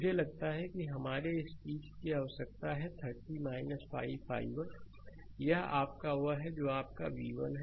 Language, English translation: Hindi, I think this is required for our this thing 30 minus 5 i 1 right, that is your that is your v 1